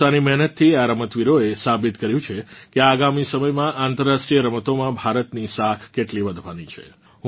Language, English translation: Gujarati, With their hard work, these players have proven how much India's prestige is going to rise in international sports arena in the coming times